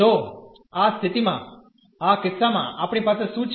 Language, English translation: Gujarati, So, in this situation in this case what we have